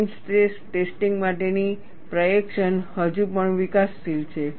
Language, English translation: Gujarati, The procedure for plane stress testing is still developing